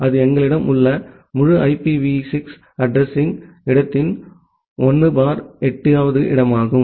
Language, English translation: Tamil, And that is the 1/8th of the entire IPv6 address space that we have